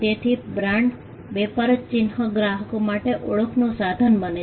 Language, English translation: Gujarati, So, the brand, the trade mark becomes a source of identity for the customer